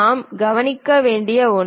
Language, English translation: Tamil, One thing what we have to notice